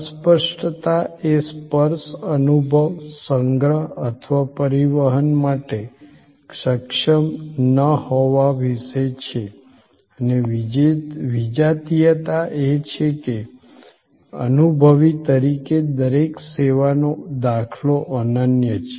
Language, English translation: Gujarati, Intangibility is about not being able to touch, feel, no storage or transport and heterogeneity is that the experientially each service instance is unique